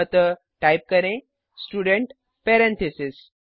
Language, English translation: Hindi, So type, Student parentheses